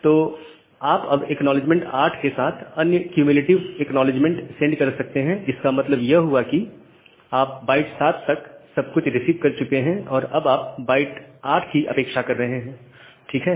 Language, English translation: Hindi, So, you can send another cumulative acknowledgement with acknowledgement number 8; that means you have received everything up to 7 and now you are expecting byte 8 to receive ok